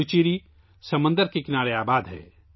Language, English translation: Urdu, Puducherry is situated along the sea coast